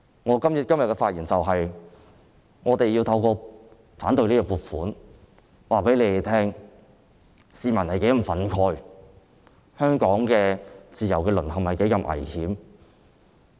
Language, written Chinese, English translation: Cantonese, 我今天發言的目的是，我們透過反對預算案來告訴你們，市民是如何憤慨，香港的自由淪陷是多麼危險。, I have been speaking today for the following purpose . We want to tell you by opposing the Budget how infuriated members of the public are and how dangerous the erosion of Hong Kongs freedoms is